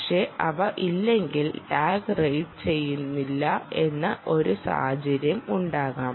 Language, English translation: Malayalam, but if they are not, you may even have a situation whether tag is not being read